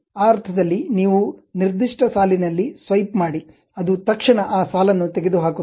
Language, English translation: Kannada, In that sense, you just swipe on particular line; it just immediately removes that line